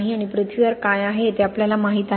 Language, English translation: Marathi, And we know what is in the earth